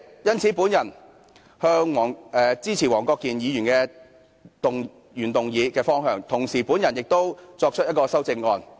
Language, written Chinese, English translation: Cantonese, 因此，主席，我支持黃國健議員所提原議案的方向，同時亦提出了一項修正案。, For this reason President I support the direction of Mr WONG Kwok - kins original motion and I have also proposed an amendment